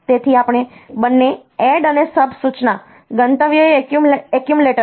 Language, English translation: Gujarati, So, we both add and sub instruction the destination is the accumulator